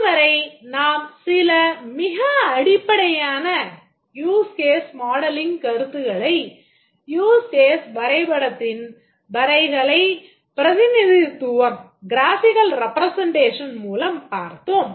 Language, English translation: Tamil, So, far we have looked at some very basic concepts in use case modeling, looked at the graphical representation of a huge case diagram